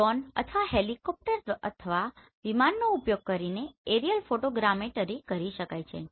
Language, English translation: Gujarati, Since aerial photogrammetry can be done using this Drones or maybe helicopters or maybe aeroplanes